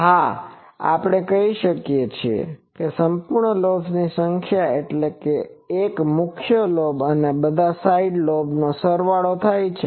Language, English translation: Gujarati, Yes, we can say that number of full lobes full lobes means, number of full lobes full lobes means one main lobe plus all side lobes